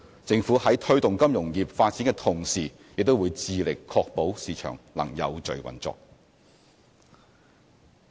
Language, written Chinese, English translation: Cantonese, 政府在推動金融業發展的同時，也會致力確保市場能有序運作。, While promoting the development of the financial industry there is also a need for the Government to strive to ensure the orderly operation of the market